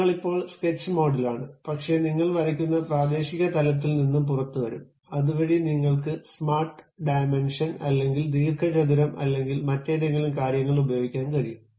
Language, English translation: Malayalam, You are still at the sketch mode, but that local level where you are drawing you will be coming out, so that you can use some other two like smart dimension, or rectangle, or any other kind of things